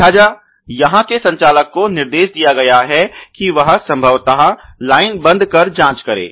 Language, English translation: Hindi, So, the operator here has been instructed to probably stop the line and check